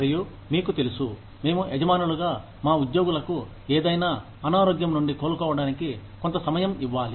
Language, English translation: Telugu, And, so you know, we are required as employers, to give our employees, some time for recovering, from any illnesses